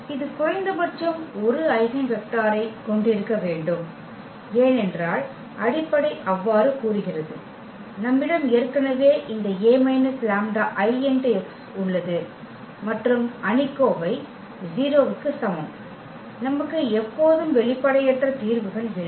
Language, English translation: Tamil, And it had it just must to have at least 1 eigenvectors because that is what the foundation says so, we have already this a minus lambda I and the determinant is equal to 0 we have non trivial solution always